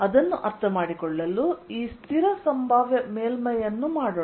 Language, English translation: Kannada, to understand that, let us make this constant potential surface